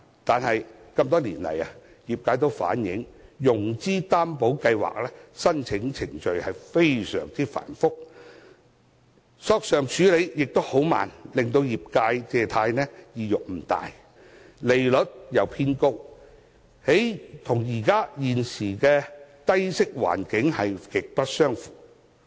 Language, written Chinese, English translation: Cantonese, 可是，多年來業界均反映，中小企融資擔保計劃申請程序非常繁複，索償處理亦很緩慢，令業界借貸意欲不大，況且計劃的利率偏高，與現時的低息環境極不相符。, However feedbacks from the industries in the past years show that the application procedure of the Scheme is very complicated and claims are handled very slowly thus dampened their incentive to make financing applications . Besides the interest rates of the Scheme are high which is incongruent to the present low - rate environment